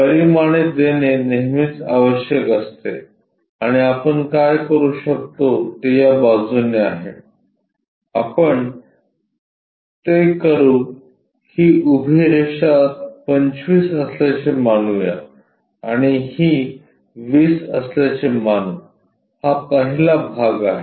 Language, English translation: Marathi, The dimensioning always be required and what we can do is on this side, let us make it this supposed to be vertical lines 25 and this will be 20 that is the first part